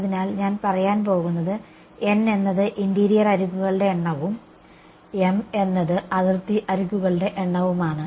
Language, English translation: Malayalam, So, I am going to say n is the number of interior edges and m is the number of boundary edges ok